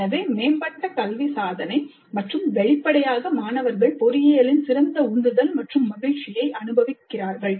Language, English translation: Tamil, So improved academic achievement and obviously better motivation and joy of engineering which the students experience